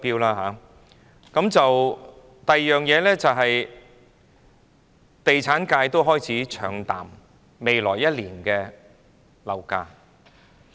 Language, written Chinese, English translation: Cantonese, 此外，地產界亦開始唱淡未來1年的樓價。, Moreover the real estate sector has started to make negative comments on property prices in the coming year